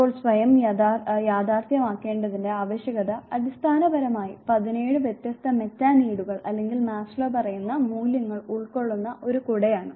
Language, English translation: Malayalam, Now need for self actualization is basically an umbrella that covers seventeen different Metaneeds or the being values what Maslow says